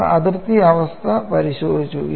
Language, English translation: Malayalam, We have to look at the boundary conditions